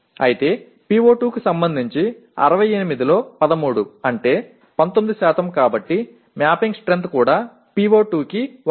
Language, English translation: Telugu, And whereas with respect to PO2, 13 out of 68 that is 19% so the mapping strength is also 1 for PO2